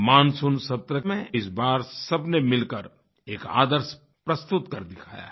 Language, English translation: Hindi, In the Monsoon session, this time, everyone jointly presented an ideal approach